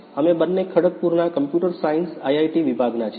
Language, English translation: Gujarati, We both are from Department of Computer Science IIT, Kharagpur